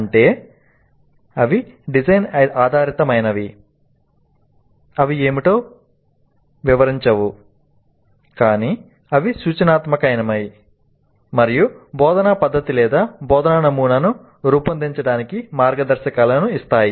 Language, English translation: Telugu, Just they do not describe what is but they are prescriptive and give guidelines for designing the instructional method or instructional model